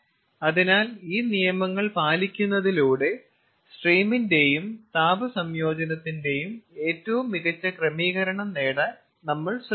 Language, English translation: Malayalam, so by abiding these laws we try to get the optimum kind of arrangement of the stream and heat integration